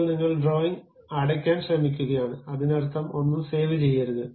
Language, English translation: Malayalam, Now, you are trying to close the drawing, that means, do not save anything